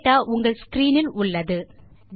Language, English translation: Tamil, The data is on your screen